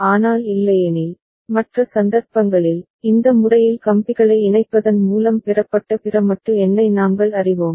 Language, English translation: Tamil, But otherwise, you can see that for the other cases, we are having this you know other modulo number obtained by just connecting wires in this manner